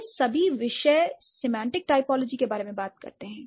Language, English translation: Hindi, All these disciplines, they do talk about semantic typology